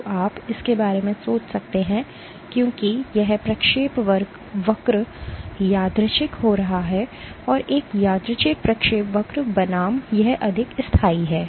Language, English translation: Hindi, So, you can think about it as this trajectory being random this is a random trajectory versus this being more persistent